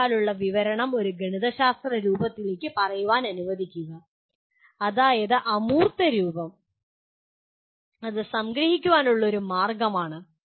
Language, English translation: Malayalam, You convert let us say verbal description into a mathematical form, that is abstract form, that is one way of summarization